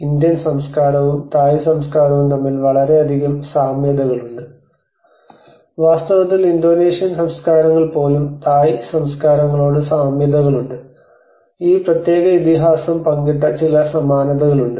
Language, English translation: Malayalam, There are many similarities between the Indian culture and the Thai culture, in fact, when you say even Indonesian cultures to Thai cultures, we have some similarities which shared this particular epic